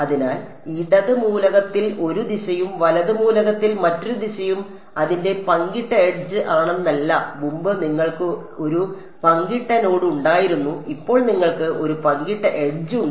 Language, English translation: Malayalam, So, it's not that there is one direction on the left element and another direction on the right element its a shared edge, earlier you had a shared node now you have a shared edge